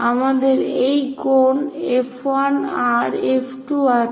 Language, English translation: Bengali, We have this angle F 1 R F 2